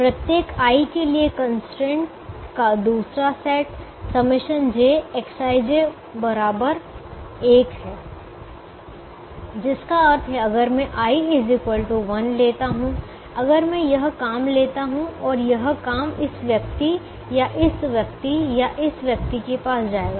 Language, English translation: Hindi, second set of constraint is summed over j, x, i, j equal to one for every i, which means if i take, i equal to one, if i take this job and this job will will go to either this person or this person or this person